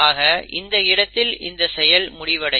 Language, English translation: Tamil, So here the process will stop